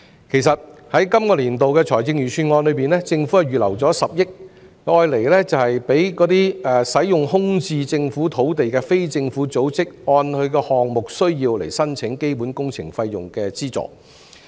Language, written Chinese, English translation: Cantonese, 其實，在今個年度的財政預算案中，政府預留了10億元讓使用空置政府土地的非政府組織按項目需要申請基本工程費用的資助。, As a matter of fact the Government has set aside 1 billion in the budget for the current year to enable non - governmental organizations using vacant Government land to apply for subsidies in infrastructure project costs in accordance with the project needs